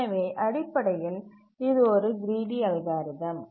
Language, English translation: Tamil, So basically a greedy algorithm